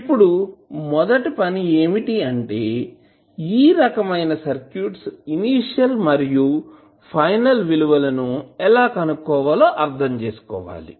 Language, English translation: Telugu, Now, the first thing which we have to understand that how we will find the initial and final values for these types of circuits